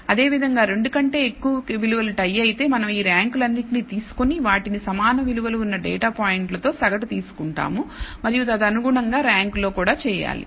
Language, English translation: Telugu, Similarly if there are more more than 2 values which are tied we take all these ranks and average them by the number of data points which have equal values and correspondingly you have to in the rank